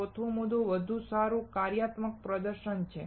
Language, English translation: Gujarati, The fourth point is better functional performance